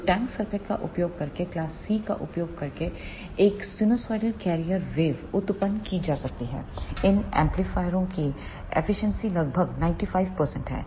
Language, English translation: Hindi, So, using the tank circuit one can generate a sinusoidal carrier wave using the class C amplifiers the efficiency of these amplifiers is around 95 percent